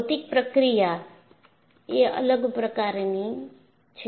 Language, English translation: Gujarati, So, the physical process is different